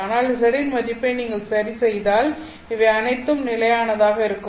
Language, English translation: Tamil, But if you fix the value of z, this is all going to be constant